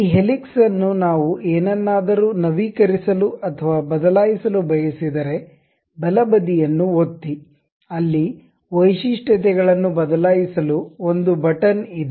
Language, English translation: Kannada, And this helix begins if we would like to update or change anything if you give a right click there is a button to edit future